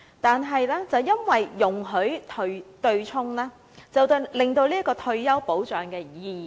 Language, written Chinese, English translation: Cantonese, 但是，容許對沖，強積金已大大失去其退休保障的意義。, However given this offsetting the function of MPF to assure retirement protection has been considerably impaired